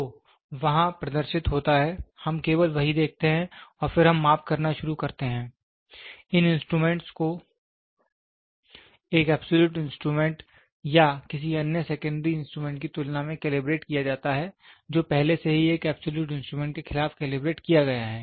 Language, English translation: Hindi, So, what is displayed there, we only see that and then we start doing the measurements these instruments are calibrated by comparison with an absolute instrument or another secondary instrument which has already been calibrated against an absolute instrument